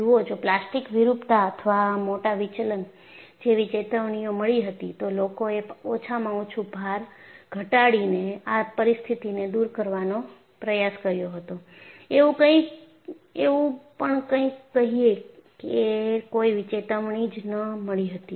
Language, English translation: Gujarati, See there had been a warning like plastic deformation or large deflection; people would have at least attempted to diffuse a situation by reducing the load, or do some such thing; it was no warning